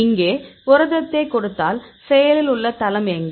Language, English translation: Tamil, So, if I give the protein here; so where is active site probably